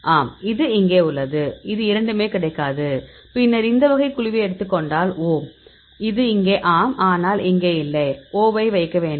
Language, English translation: Tamil, Then this one it is not available both then take this type of group; this O, this is here; here this is here yes, but here no; so you put 0